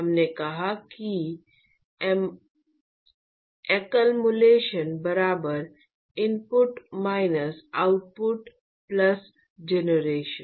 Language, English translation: Hindi, We have done that we said accumulation equal to input minus output plus generation etcetera